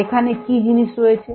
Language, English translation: Bengali, this is what is known